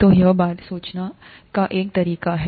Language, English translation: Hindi, So this is one way of thinking about it